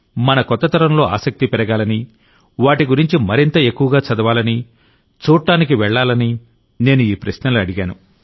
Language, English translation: Telugu, I asked these questions so that the curiosity in our new generation rises… they read more about them;go and visit them